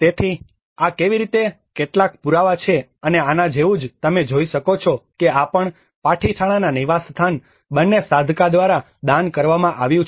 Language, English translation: Gujarati, \ \ \ So, this is how some of the evidences and similar to this you can see that this is also donated by the Saghaka both the residence of Patithana